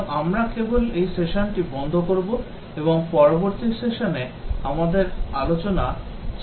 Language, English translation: Bengali, So, we will just stop this session and continue our discussion in the next session